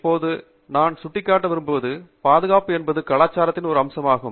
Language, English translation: Tamil, Now, I would also like to point out that, you know, safety is an aspect of culture